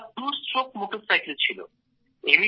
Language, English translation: Bengali, It was a two stroke motorcycle